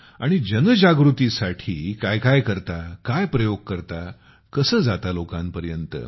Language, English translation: Marathi, And what do you do for awareness, what experiments do you use, how do you reach people